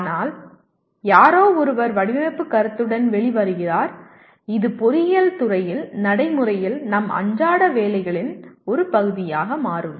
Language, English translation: Tamil, But somebody has come out with design concept and it becomes part of our day to day work practically in engineering